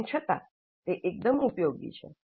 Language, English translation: Gujarati, Still, that is quite useful